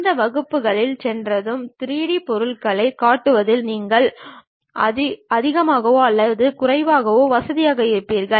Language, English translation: Tamil, Once you go through this class you will be more or less comfortable in constructing 3D objects